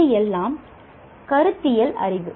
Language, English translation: Tamil, This is all the conceptual knowledge